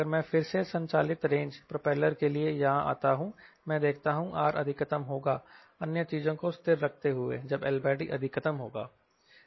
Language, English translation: Hindi, if i come here for range, propeller driven, again, i am see r will be maximum if we other thing constant when l by d is maximum